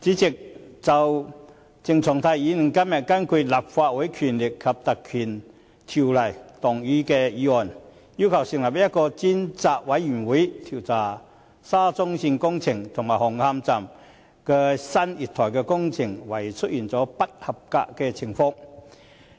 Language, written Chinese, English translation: Cantonese, 主席，鄭松泰議員今天根據《立法會條例》動議議案，要求成立專責委員會，調查沙田至中環線工程紅磡站新月台工程懷疑出現不合格的情況。, President Dr CHENG Chung - tai moved a motion today pursuant to the Legislative Council Ordinance to request the establishment of a select committee to inquire into the alleged substandard construction works at the new platforms of Hung Hom Station of the Shatin to Central Link SCL project